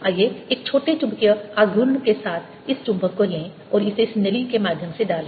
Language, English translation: Hindi, let's take this magnet with a small magnetic moment and put it through this tube channel